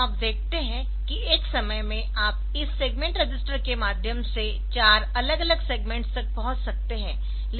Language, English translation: Hindi, So, you can access four different segments by through this segment register